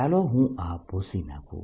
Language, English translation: Gujarati, let me erase this point